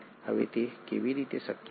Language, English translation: Gujarati, Now how is that possible